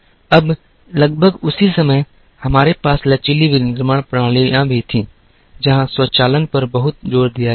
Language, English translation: Hindi, Now, about the same time, we also had flexible manufacturing systems come in, where there was a lot of emphasis on automation